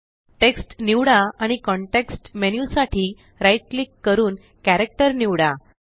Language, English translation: Marathi, Select the text and right click for the context menu and select Character